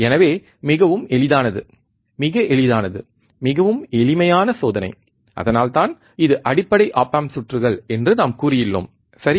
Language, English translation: Tamil, So, very easy, very easy extremely simple experiment, that is why we have said it is a these are basic op amp circuits, right